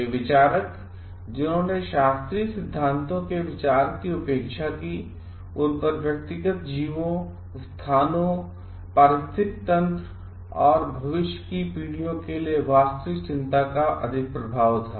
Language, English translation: Hindi, The theorists who neglected the idea of classical theories and were dominated by the real concern for the individual organisms, places, ecosystems and future generations